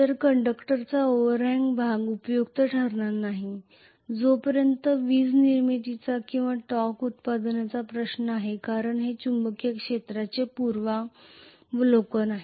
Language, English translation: Marathi, So the overhang portion of the conductor is not going to be useful as far as the electricity generation is concerned or torque production is concerned because this is preview of the magnetic field